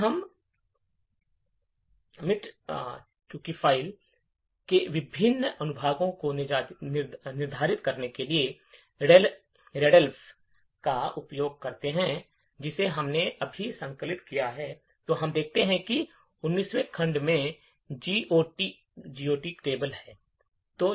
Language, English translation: Hindi, If we use readelf to determine the various sections of the eroded file that we have just compiled, we see that the 19th section has the GOT table